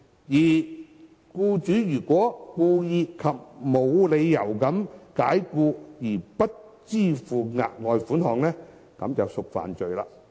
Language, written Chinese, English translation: Cantonese, 如果僱主故意及無理解僱而不支付額外款項，即屬犯罪。, Any employer who wilfully and without reasonable excuse fails to pay the further sum to an employee commits an offence